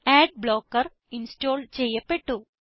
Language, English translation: Malayalam, Ad blocker is now installed